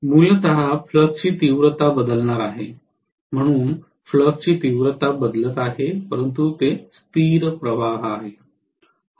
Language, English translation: Marathi, Basically the flux magnitude is going to change so flux magnitude is changing but it is stationary flux